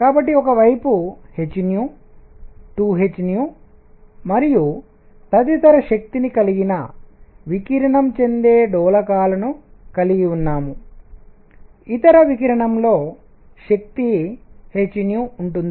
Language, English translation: Telugu, So, on one hand, I have oscillators that radiate that have energy h nu 2 h nu and so on the other radiation itself has energy h nu